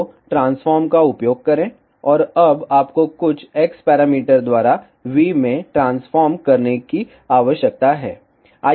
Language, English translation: Hindi, So, use transform, and now so you need to transform in V by some x parameter